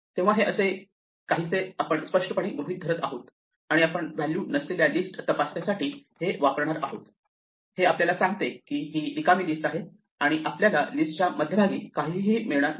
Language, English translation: Marathi, This is something that we will implicitly assume and use that checking for the value none will tell us it is an empty list and we will never find none in the middle of a list